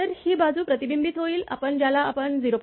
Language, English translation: Marathi, So, again this side will be reflected you are what you call 0